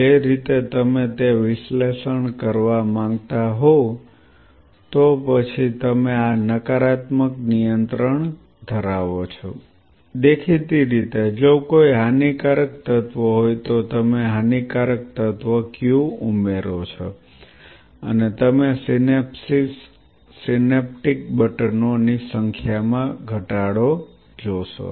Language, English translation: Gujarati, That I will leave it up to your which so ever, way you wanted to do that analysis followed by you have this negative control here; obviously, if there is some damaging element you add the damaging element Q, and you see the reduction in number of synapses synaptic buttons